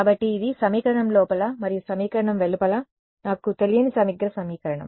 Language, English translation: Telugu, So, this is the integral equation my unknown is both inside the equation and outside the equation right